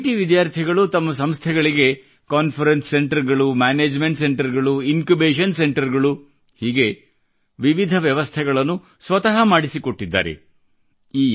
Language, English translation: Kannada, IITians have provided their institutions many facilities like Conference Centres, Management Centres& Incubation Centres set up by their efforts